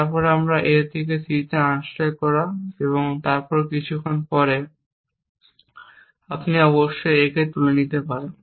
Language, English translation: Bengali, So, the first action that we can C is unstacking C from A and sometime after that you must have pick up A